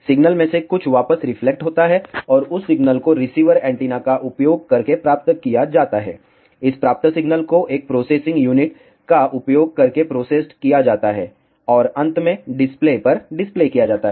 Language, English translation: Hindi, Some of the signal gets reflected back and that signal is received using the receiver antenna, this received signal is processed using a processing unit and finally, displayed on to the display